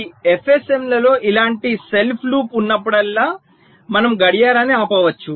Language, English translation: Telugu, so whenever in these f s ms there is a self loop like this, we can stop the clock